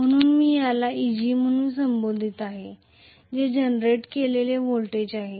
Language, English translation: Marathi, So, I am calling this as Eg that is the generated voltage